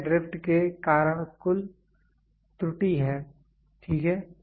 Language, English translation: Hindi, This is the total error due to drift, ok